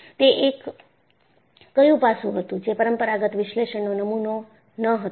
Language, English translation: Gujarati, What aspect was it, not model in the conventional analysis